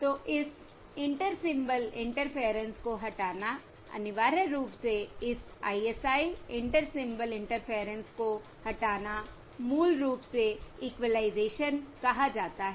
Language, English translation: Hindi, So removing this Inter Symbol Interference, essentially removing this ISI Inter Symbol Interference, is basically what is termed as equalisation